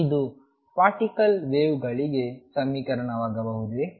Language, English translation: Kannada, Can this be equation for the particle waves